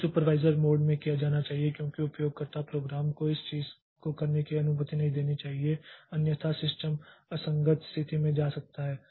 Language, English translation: Hindi, So, this has to be done in the supervisor mode because the user program should not be allowed to do this this thing, otherwise the system may go into an inconsistent state